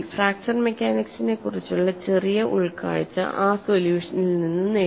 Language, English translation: Malayalam, Little insight to fracture mechanics was gained from the solution